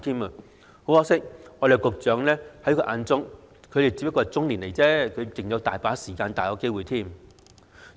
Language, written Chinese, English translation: Cantonese, 很可惜，在局長眼中，他們仍然是中年，還有很多時間和機會。, Sadly though in the eyes of the Secretary they are still in their middle age with plenty of time and opportunities ahead